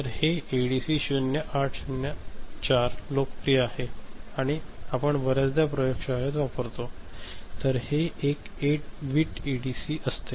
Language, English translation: Marathi, So, this ADC 0804 is popular often you use it in the lab ok, so this is a 8 bit ADC